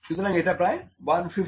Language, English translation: Bengali, So, this is about 150 mm